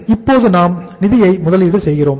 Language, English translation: Tamil, So we are investing the funds now